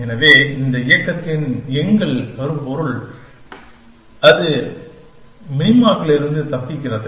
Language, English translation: Tamil, And so the theme for our said this movement, is escaping from those minima